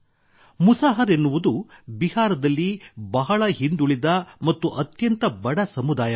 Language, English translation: Kannada, Musahar has been a very deprived community in Bihar; a very poor community